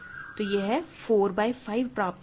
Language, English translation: Hindi, So, you had 4 by 5 right